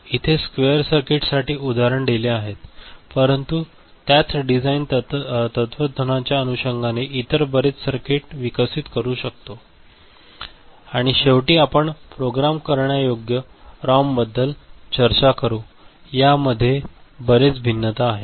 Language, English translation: Marathi, So, examples will be given for squarer circuit, but one can develop many other circuits following the same design philosophy and at the end we shall discuss programmable ROM, it is different verities